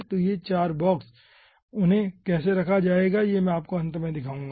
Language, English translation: Hindi, how they will be placed i will be showing you at the end